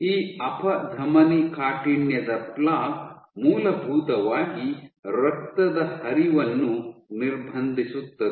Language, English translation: Kannada, This atherosclerosis plaque essentially it restricts the blood flow